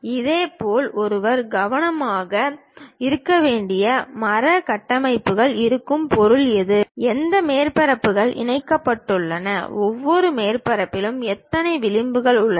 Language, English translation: Tamil, Similarly, there will be tree structures one has to be careful, something like what is the object, which surfaces are connected and each surface how many edges are there